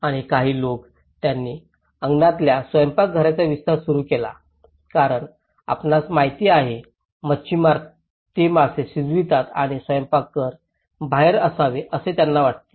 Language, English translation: Marathi, And some people they started expanding the kitchens in the backyard because you know, fishermans they cook fish and they want the kitchen to be outside